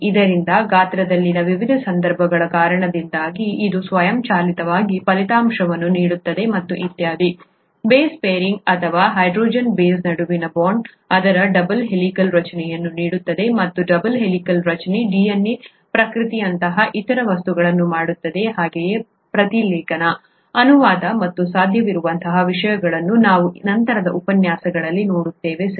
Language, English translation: Kannada, So this is what automatically results because of the various constraints in size and so on and so forth, the base pairing or hydrogen bonding between the bases, gives it its double helical structure and the double helical structure makes other things such as replication of DNA as well as transcription, translation and things like that possible, that we will see in later lectures, okay